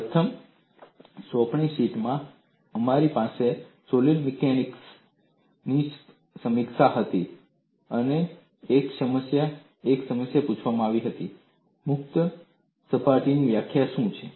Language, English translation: Gujarati, In the first assignment sheet, we had a review of solid mechanics, and one of the problems asked was, what is the definition of a free surface